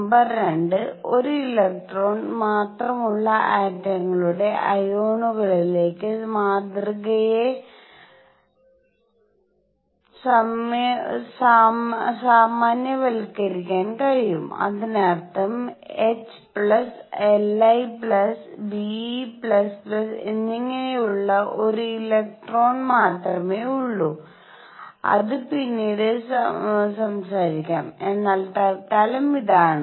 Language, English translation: Malayalam, Number 2: the model can be generalized to ions of atoms that have only one electron; that means, helium plus lithium plus plus beryllium plus plus plus and so on that have only one electron that is a note which will talk about later, but for the time being this is what is